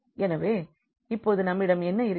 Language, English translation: Tamil, So, now what we have